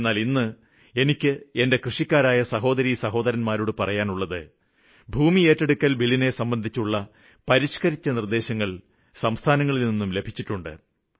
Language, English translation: Malayalam, But today, I want to tell all my farmer brothers and sisters that the request to reform the 'Land Acquisition Act' was raised by the states very emphatically